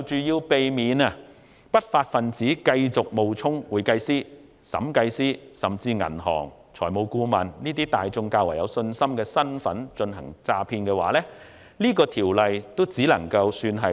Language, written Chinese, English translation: Cantonese, 要避免不法分子繼續冒充會計師、審計師，甚至是銀行職員和財務顧問等市民較具信心的身份進行詐騙，《條例草案》只能處理小部分的問題。, In respect of preventing criminals from continuing to falsely identify themselves with occupations trusted by the public such as certified public accountants auditors or even staff members of banks and financial consultants etc the Bill can only solve a small part of the problems